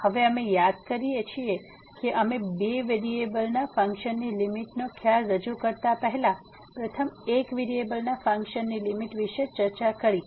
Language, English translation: Gujarati, So, we recall now before we introduce the limit the concept of the limit for the functions of two variables, it is important to first discuss the limit of a function of one variable